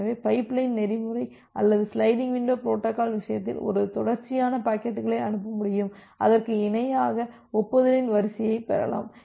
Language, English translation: Tamil, In case of my pipeline protocol or the sliding window protocol, what we do that we can send a sequence of packets and parallely we can receive the sequence of acknowledgement